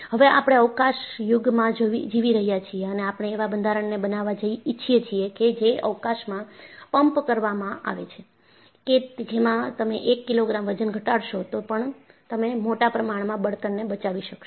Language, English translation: Gujarati, See, now, we are living in a space age and we want to have structures that, are pumped into space, even if you reduce 1 kilogram of weight, you save enormous amount of fuel